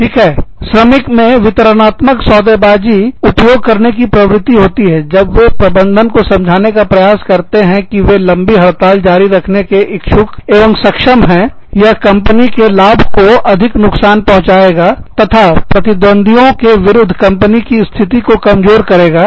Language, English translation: Hindi, The labor, tends to use distributive bargaining, when it attempts to convince management, that it is willing, and able to sustain a long strike, that will severely damage the company's profits, and weaken the company's position, against its competitors